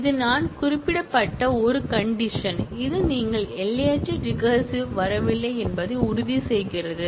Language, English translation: Tamil, This is as I mentioned is a terminal condition which makes sure that, you do not get into infinite recursion